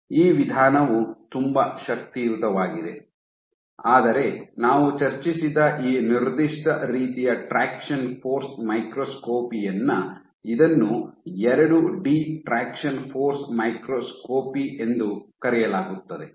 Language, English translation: Kannada, So, this approach is very powerful, but in this particular type of traction force microscopy that we discussed this is called the 2 D traction force microscopy